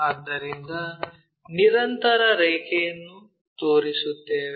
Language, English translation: Kannada, So, continuous lines we will show